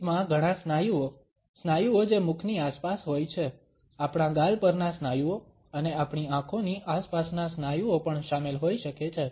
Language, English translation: Gujarati, A smile may involve several muscles, muscles which are around the mouth, muscles on our cheeks, and muscles around our eyes also